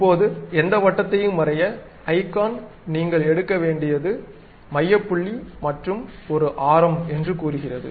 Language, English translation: Tamil, Now, to draw any circle, the icon says that there is something like center point you have to pick, and something like a radius